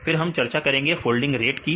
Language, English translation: Hindi, Then we discussed the folding rate